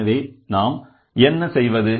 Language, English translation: Tamil, So, then what we write